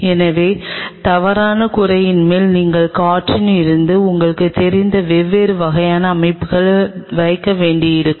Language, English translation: Tamil, So, on top of the false roof you may have to put different kind of setup you know from the air